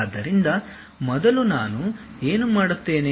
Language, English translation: Kannada, So, first what I will do